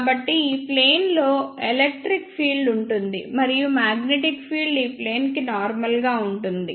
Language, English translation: Telugu, So, in this the electric field is in this plane and magnetic field is normal to this plane